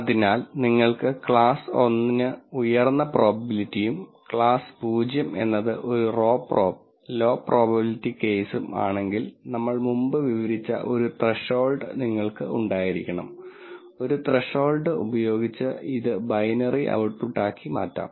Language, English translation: Malayalam, So, let us say if you want class 1 to have high probability and class 0 is a, row prob, low probability case, then you need to have a threshold that we described before that you could convert this into a binary output by using a threshold